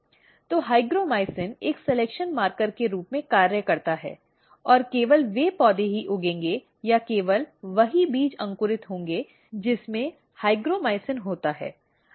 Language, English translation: Hindi, So, hygromycin acts as a selection marker and only those plant will grow or the only those seeds will germinate which has hygromycin in it